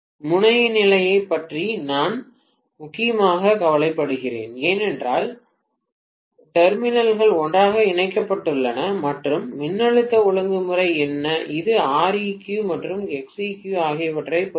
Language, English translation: Tamil, I mainly worried about the terminal condition because the terminals are tied up together and what is the voltage regulation, that heavily depends upon R equivalent and X equivalent